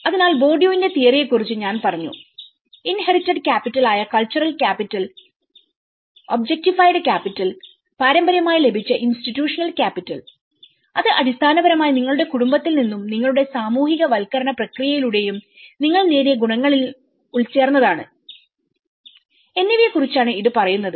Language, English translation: Malayalam, And similarly, I spoke about the Bourdieu’s theory which talks about the cultural capital which is the inherited capital, the objectified capital and the institutional capital inherited which is basically, an inbuilt with what the qualities you achieve from your family and through your socialization process, but in objectified how you objectify in the form of art and how you can objectify through the architecture